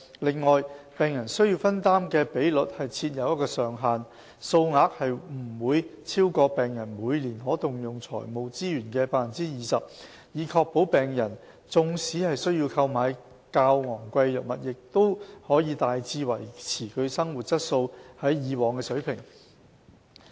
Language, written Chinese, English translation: Cantonese, 此外，病人需要分擔的比率設有上限，數額不會超過病人每年可動用財務資源的 20%， 以確保病人縱使需要購買較昂貴的藥物，亦可大致維持其生活質素於以往的水平。, Moreover the contribution rate of patients is capped at 20 % of their annual disposable financial resources to ensure that patients quality of life would be largely maintained even if they need to purchase more costly drugs